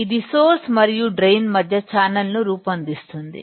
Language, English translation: Telugu, This forms a channel between source and drain